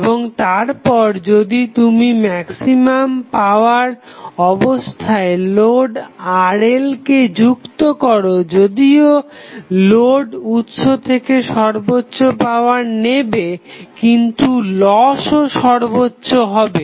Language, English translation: Bengali, And then if you connect the load Rl at maximum power condition, although the load will receive maximum power from the source, but losses will also be maximum